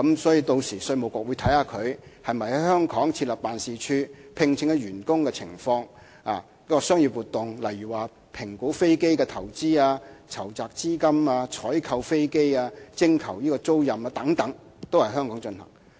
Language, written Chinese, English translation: Cantonese, 所以，屆時稅務局是會審視它們是否在香港設立辦事處、聘請員工的情況、商業活動，例如評估飛機的投資、籌集資金、採購飛機及徵求租賃等，也是需要在香港進行。, Therefore the Inland Revenue Department would conduct an analysis to determine whether such corporations have set up offices in Hong Kong how many employees they have employed and what commercial activities they have carried out . For example there should be substantial business presence in Hong Kong such as assessing their investment on aircraft project financing procurement of aircraft solicitation of leases and so on